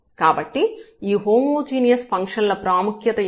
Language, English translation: Telugu, So, these are the examples of the homogeneous functions